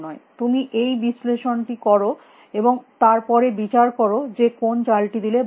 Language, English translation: Bengali, You do this analysis and then try to judge which is good move to make